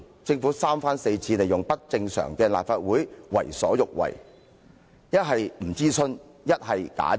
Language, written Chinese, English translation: Cantonese, 政府三番四次利用不正常的立法會為所欲為，不是不諮詢，就是假諮詢。, That was a fake popular mandate . The Government has time and again used this abnormal Council to get its own way by refusing to launch any consultation or conducting fake consultations